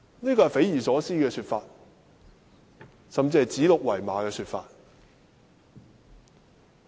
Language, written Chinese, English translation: Cantonese, 這是匪夷所思的說法，甚至是指鹿為馬的說法。, This comment is unimaginable and even a gross misrepresentation